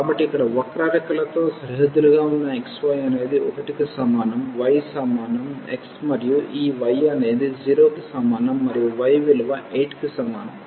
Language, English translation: Telugu, So, bounded by the curves here x y is equal to 1, y is equal to x and this y is equal to 0 and y is equal to 8